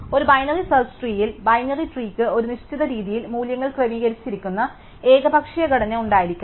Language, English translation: Malayalam, So, in a binary search tree, the binary tree could have an arbitrary structure that the values are arranged in a specific way